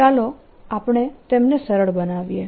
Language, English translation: Gujarati, let us simplify them